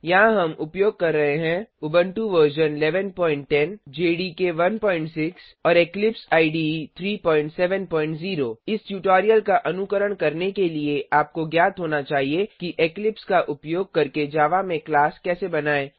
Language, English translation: Hindi, Here we are using Ubuntu version 11.10 jdk 1.6 And Eclipse IDE 3.7.0 To follow this tutorial you must know how to create a class in Java using Eclipse